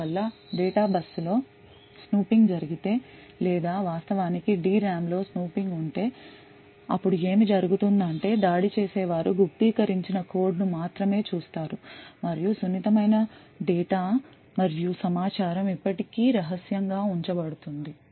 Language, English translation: Telugu, So thus, if there is a snooping done on the data bus or there is actually snooping within the D RAM then what would happen is that the attacker would only see encrypted code and the sensitive data and information is still kept secret